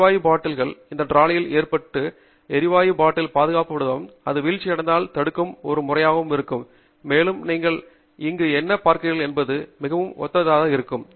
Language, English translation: Tamil, So that the gas bottle is loaded on to that trolley, and there will be a system which secures the gas bottle and prevents it from falling down, and that would be very similar to what you are seeing here